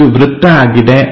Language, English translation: Kannada, There is a circle